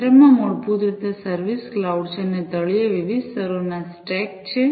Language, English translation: Gujarati, At the center is basically the service cloud and at the bottom are a stack of different layers